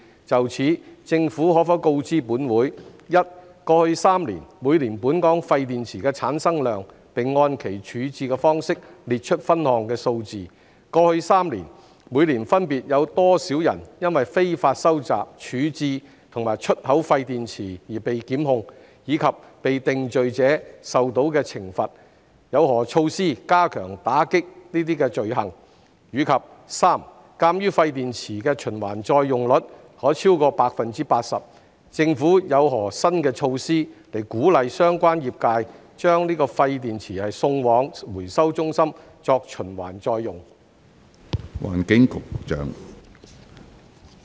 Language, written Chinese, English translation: Cantonese, 就此，政府可否告知本會：一過去3年，每年本港廢電池的產生量，並按其處置方式列出分項數字；二過去3年，每年分別有多少人因非法收集、處置和出口廢電池而被檢控，以及被定罪者受到的懲罰；有何措施加強打擊該等罪行；及三鑒於廢電池的循環再用率可超過百分之八十，政府有何新措施鼓勵相關業界把廢電池送往回收中心作循環再用？, In this connection will the Government inform this Council 1 of the quantity of waste batteries generated in Hong Kong in each of the past three years with a breakdown by their disposal methods; 2 of the respective numbers of persons prosecuted in each of the past three years for illegal collection disposal and export of waste batteries as well as the penalties imposed on those convicted; the measures in place to step up efforts in combating such offences; and 3 given that the reuse rate of waste batteries may exceed 80 % of the Governments new measures to encourage the relevant trades to send waste batteries to the recycling centre for reuse?